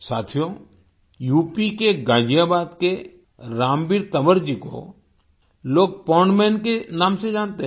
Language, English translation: Hindi, the people of Ghaziabad in UP know Ramveer Tanwar as the 'Pond Man'